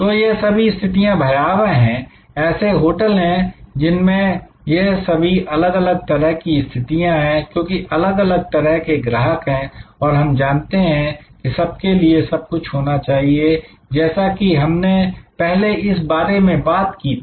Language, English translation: Hindi, This, so all these positions are terrible, there are hotels with all these different types of positions, because a different types of customers and we know need to be everything to everybody as I discussed before